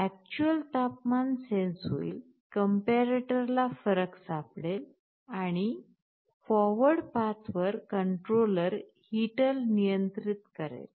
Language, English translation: Marathi, The actual temperature will be sensed, the comparator will be finding a difference, and in the forward path the controller will be controlling a heater